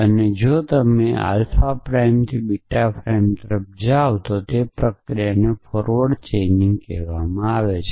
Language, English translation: Gujarati, And if you move from alpha prime to beta prime the process is called forward chaining